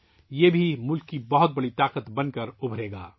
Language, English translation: Urdu, This too will emerge as a major force for the nation